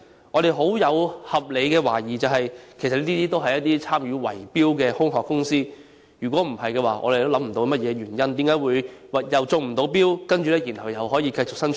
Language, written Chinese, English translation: Cantonese, 我們抱有合理懷疑，認為這些其實均是參與圍標的空殼公司，否則我們也想不到有何原因令這些未能中標的公司可以繼續營運。, Given our reasonable suspicions we consider that these are actually shell companies engaged in bid - rigging otherwise we cannot think of any reason why these unsuccessful bidders can manage to carry on their business